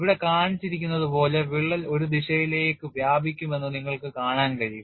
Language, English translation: Malayalam, And you could see that a crack will extend in a direction as shown here